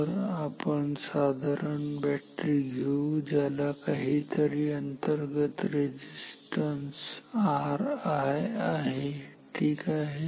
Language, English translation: Marathi, So, let us take a simple battery just like this with some internal resistance r i ok